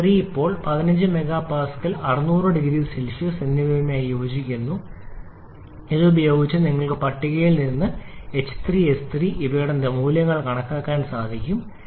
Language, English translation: Malayalam, 3 now corresponds to 15 mega Pascal and 600 degree Celsius using this you can get the value of h 3 and S 3 from the table